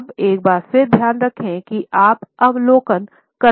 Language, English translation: Hindi, Now, once again make sure you keep in mind that you are supposed to observing